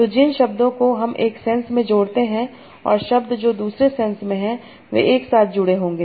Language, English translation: Hindi, So, words that are corresponding to one sense will be connected together